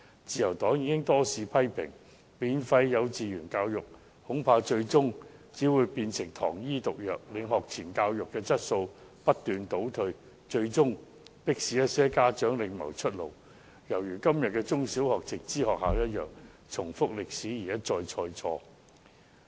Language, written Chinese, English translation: Cantonese, 自由黨已多次批評，免費幼稚園教育恐怕最終只會變成糖衣毒藥，令學前教育的質素不斷倒退，最終迫使一些家長另謀出路，情況就如現時的直資中小學一樣，再次歷史重演，一錯再錯。, The Liberal Party has repeatedly criticized that free kindergarten education may eventually become sugar - coated poison which will result in the deteriorating quality of pre - primary education and eventually forces some parents to find another way out . The situation will be similar to the direct subsidy primary and secondary schools now and thus history recurs and mistakes repeat